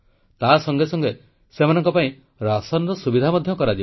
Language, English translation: Odia, In addition, rations will be provided to them